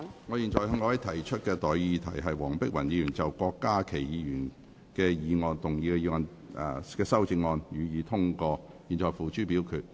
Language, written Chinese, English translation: Cantonese, 我現在向各位提出的待議議題是：黃碧雲議員就郭家麒議員議案動議的修正案，予以通過。, I now propose the question to you and that is That the amendment moved by Dr Helena WONG to Dr KWOK Ka - kis motion be passed